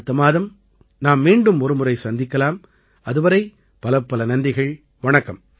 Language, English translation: Tamil, We'll meet again next month, until then, many many thanks